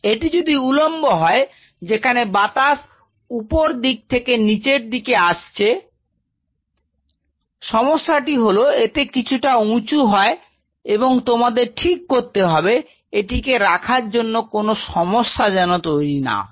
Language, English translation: Bengali, So, if it is a vertical one where the air is coming from the top to bottom and the problem is they are slightly taller and you have to ensure that this vertical one gets inside the facility without any hassel